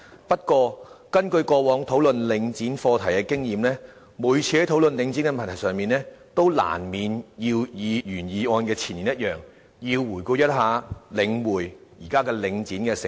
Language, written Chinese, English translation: Cantonese, 不過，根據過往討論領展課題的經驗，每次討論領展的問題時，都難免要與原議案的前言一樣，回顧領匯房地產投資信託基金，即現時的領展的成立。, However past experience in discussing issues related to Link REIT entails an inevitable review of the establishment of The Link Real Estate Investment Trust in each related discussion just as stated in the preamble of the original motion